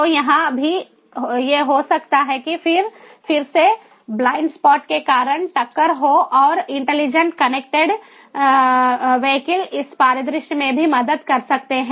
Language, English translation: Hindi, so here also, these might happen is, again, there is collision due to blind spots, and intelligent connected vehicles can help in this scenario as well